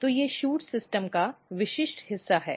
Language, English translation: Hindi, So, these are the typically part of shoot system